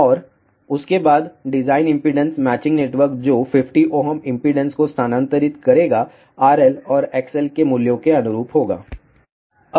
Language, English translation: Hindi, And after that design impedance matching network which will transfer 50 ohm impedance corresponding to these values of R L and X L